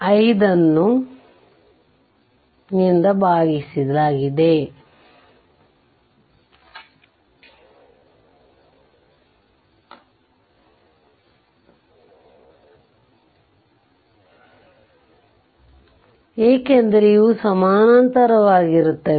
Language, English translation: Kannada, 5 divided by your, because these are this in parallel